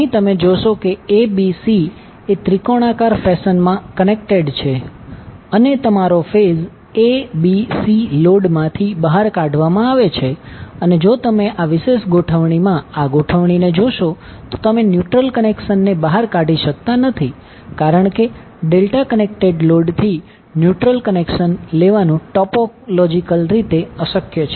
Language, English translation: Gujarati, Here you will see ABC are connected in triangular fashion and your phase ABC is taken out from the load and if you see this particular arrangement in this particular arrangement you cannot take the neutral connection out because it is topologically impossible to take the neutral connection from the delta connected load